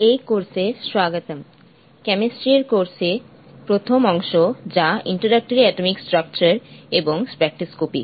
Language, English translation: Bengali, [Music] Welcome to this course, the first part of the course in chemistry which is introductory is on atomic structure and spectroscopy